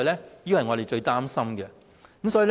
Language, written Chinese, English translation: Cantonese, 這便是我們最擔心的事情。, This is something we concerned most